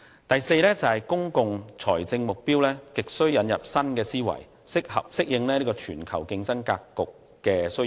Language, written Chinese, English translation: Cantonese, 第四，公共財政目標亟需引入新思維，適應全球經濟競爭格局的需要。, Fourthly there is a desperate need to inject new ideas into our public finance objectives so that we can adapt to the needs generated under the competitive global economy